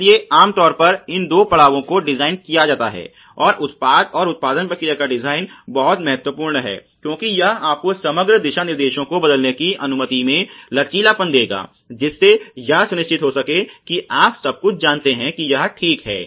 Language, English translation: Hindi, So, typically these two stages designed and of the product and the design of the production process are very, very critical, because this would allow you flexibility to change the overall guidelines the envisioning system plan which would ensure that you know everything is complained ok